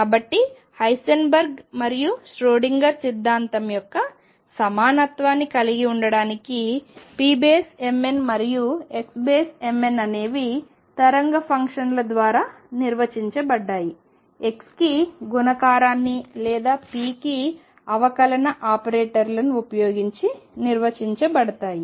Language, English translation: Telugu, So, to have equivalence of Heisenberg’s and Schrödinger’s theory p m n and x m n are defined from the wave functions using multiplicative that is four x or differential for p operators